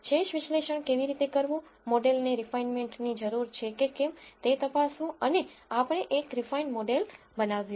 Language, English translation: Gujarati, How to do residual analysis, how to check if the model needs refinement and we built a refined model